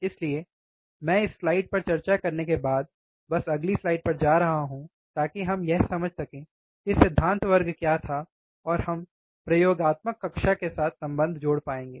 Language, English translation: Hindi, So, I am just quickly moving on the to the next slide after discussing this slide so that we understand what was the theory class and we can correlate with the experimental class